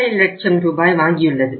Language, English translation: Tamil, 5 lakh rupees